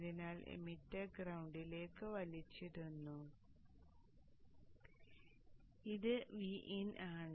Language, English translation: Malayalam, So the emitter is pulled to the ground and this is at VIN